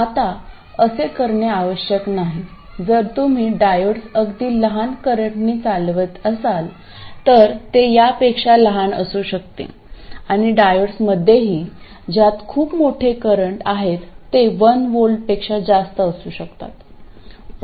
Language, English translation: Marathi, If you operate diodes with very small currents it could be smaller than this and also in diodes which carry very large currents it could be more than this even as much as 1 volt